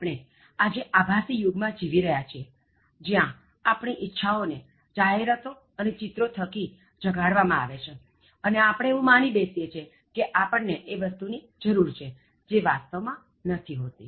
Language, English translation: Gujarati, And then today again we are living in this virtual world where desire has been given to us through advertisements and images and we believe that we need to buy things which we actually don’t need